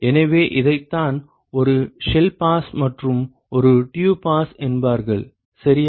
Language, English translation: Tamil, So, this is what is called one shell pass and one tube pass ok